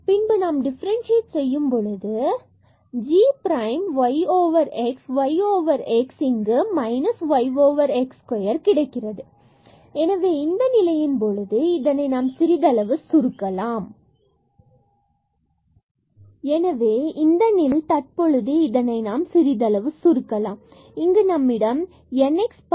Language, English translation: Tamil, So, the derivative of g with respect to its argument g prime y over x and then here the y over x will be differentiated with respect to x that will give us here minus y over x square